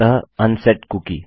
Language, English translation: Hindi, So unset a cookie